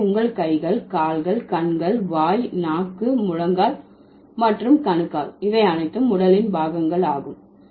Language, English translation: Tamil, So, your hands, your legs, your eyes, your mouth, your tongue, your knee, your, let's say, ankles